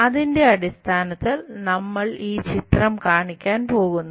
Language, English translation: Malayalam, Based on that we are going to show this picture